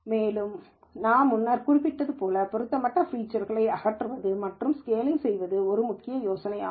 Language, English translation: Tamil, And as I mentioned before it is important to remove irrelevant features and scaling is also an important idea